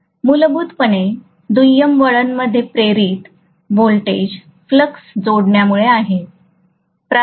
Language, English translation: Marathi, Essentially, the induced voltage in the secondary winding is because of the linking of flux